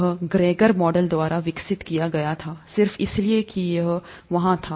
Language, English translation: Hindi, This was developed by Gregor Mendel, just because it was there